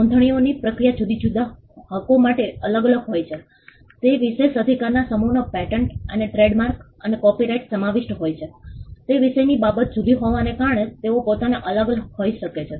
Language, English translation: Gujarati, The registration process is different for different rights the exclusive set of rights that patents and trademarks and copyright encompasses, they themselves can be different because of the subject matter being different